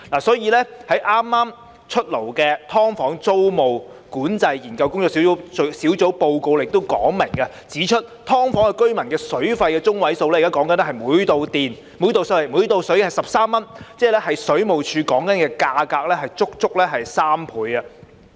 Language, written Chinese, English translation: Cantonese, 所以，在剛公布的"劏房"租務管制研究工作小組報告亦清楚說明，指"劏房"居民的水費中位數是每度水13元，足足是水務署價格的3倍。, This is why it has been clearly pointed out in the report recently published by the Task Force for the Study on Tenancy Control of Subdivided Units that the median rate for water paid by residents of subdivided units is 13 per unit of water which is triple the rate charged by WSD